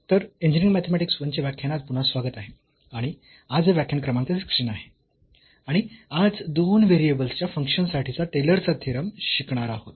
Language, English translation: Marathi, So welcome back to the lectures on Engineering Mathematics I and today this is lecture number 16 and we will learn the Taylor’s Theorem for Functions of Two Variables